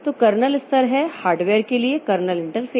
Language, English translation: Hindi, So, kernel level it has got this kernel interface to the hardware